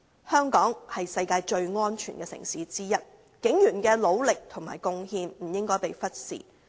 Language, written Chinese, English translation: Cantonese, 香港是世界上最安全的城市之一，警員的努力和貢獻不應被忽視。, Hong Kong is one of the safest cities in the world . The efforts and contribution of police officers should not be neglected